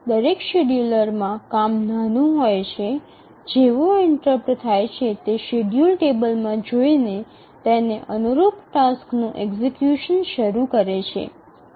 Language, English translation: Gujarati, In each schedule the work required is small as soon as the interrupt occurs, just consults the schedule table and start the execution of the corresponding task